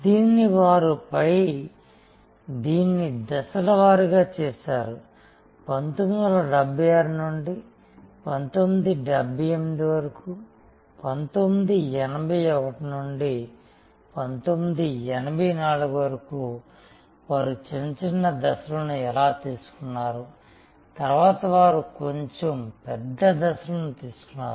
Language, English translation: Telugu, But, they did it step by step, we studied that also that how from 1976 to 1978, to 1981 to 1984 how they took short small steps and then started taking longer leaps